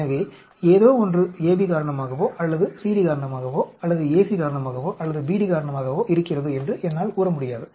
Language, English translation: Tamil, So, I will not be able to say whether something is because of AB or because of CD, something is because of AC or because of BD